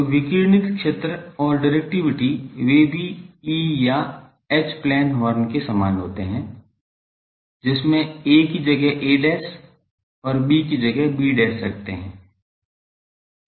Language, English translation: Hindi, So, the radiated field and directivity, they are also same as E or H plane horns with a replaced by a dash and b replaced by b dash